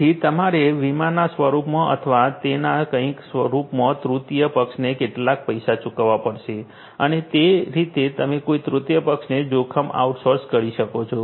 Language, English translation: Gujarati, So, you have to pay some money to the third body in the form of insurance or something like that and that is how you basically outsource the risk to some third party